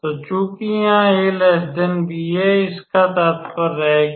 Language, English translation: Hindi, Now we note that a is less than b